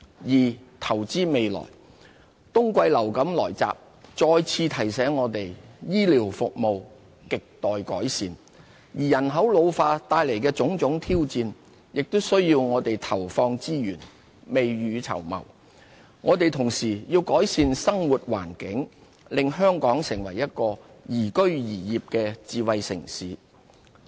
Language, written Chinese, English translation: Cantonese, 二投資未來。冬季流感來襲再次提醒我們醫療服務亟待改善，而人口老化帶來的種種挑戰，也需我們投放資源，未雨綢繆。我們同時要改善生活環境，令香港成為一個宜居宜業的智慧城市。, 2 Investing for the future the outbreak of winter influenza has reminded us once again of the pressing need to improve health care services; an ageing population poses challenges which need to be overcome by deploying resources and making early preparation; and we also need to improve our living environment to make Hong Kong an ideal smart city to work and live in